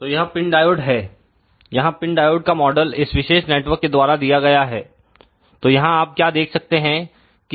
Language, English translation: Hindi, So, this is the PIN Diode the model of the PIN Diode is given by this particular network over here, what you can see over here